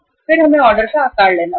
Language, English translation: Hindi, Then we have to take the order size